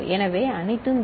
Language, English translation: Tamil, So, all 0